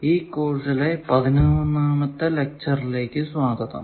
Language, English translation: Malayalam, Welcome to the eleventh lecture of this course